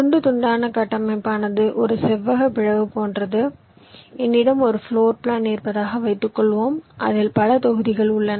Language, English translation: Tamil, slicing structure means it is like a rectangular dissection, like, let say, suppose i have a floor plan, say there are many blocks